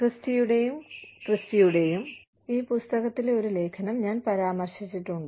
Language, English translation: Malayalam, I have referred to an article, in this book by, Christy and Christy